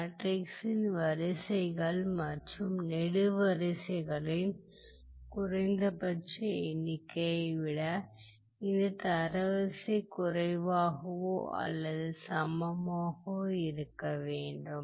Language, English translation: Tamil, And further, this rank has to be less than or equal to the minimum of the number of rows and columns of the matrix all right